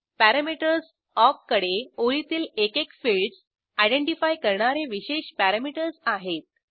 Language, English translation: Marathi, Parameters awk has some special parameters to identify individual fields of a line